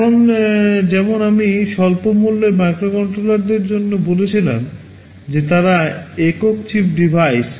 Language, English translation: Bengali, Now as I had said for low cost microcontrollers, that they are single chip devices